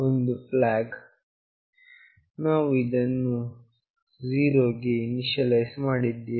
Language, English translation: Kannada, One is flag, we have initialized it to 0